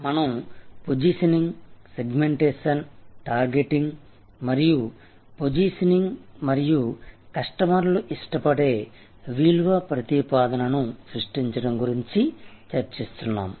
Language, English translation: Telugu, And we are discussing about positioning, segmentation targeting and positioning and creating a value proposition, which customers will love